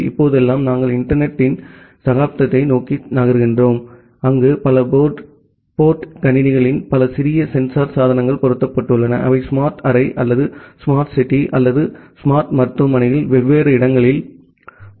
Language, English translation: Tamil, And nowadays we are moving towards the era of internet of things, where you have multiple small sensor devices mounted on single board computers which are mounted on different places in a smart room or smart city or a smart hospital